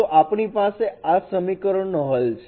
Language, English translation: Gujarati, So there is a solution for this equation